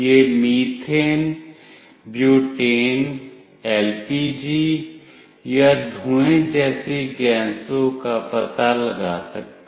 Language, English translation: Hindi, It can detect gases like methane, butane, LPG or smoke